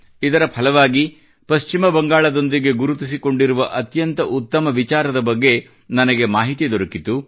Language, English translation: Kannada, In this very context, I came to know about a very good initiative related to West Bengal, which, I would definitely like to share with you